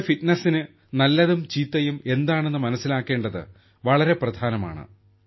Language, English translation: Malayalam, It is very important that we understand what is good and what is bad for our fitness